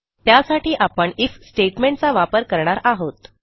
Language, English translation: Marathi, For this I am going to use an IF statement